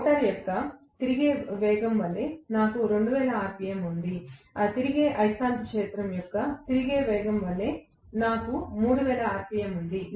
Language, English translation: Telugu, I have 2000 rpm as the revolving speed of the rotor; I have 3000 rpm as the revolving speed of the revolving magnetic field